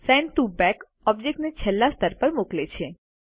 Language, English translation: Gujarati, Send to Back sends an object to the last layer